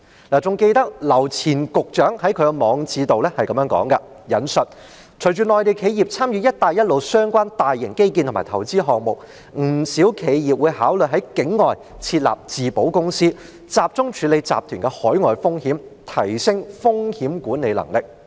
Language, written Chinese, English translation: Cantonese, 我還記得劉前局長在他的網誌中這樣說："隨着內地企業參與'一帶一路'相關大型基建和投資項目，不少企業會考慮在境外設立自保公司，集中處理集團的海外風險，提升風險管理能力。, I can still recall that the former Secretary Mr LAU stated this in his blog I quote [W]ith the participation of Mainland enterprises in large scale infrastructure and investment projects related to the Belt and Road Initiative many companies will consider setting up captive insurers to handle the groups overseas risks and improve their risk management capabilities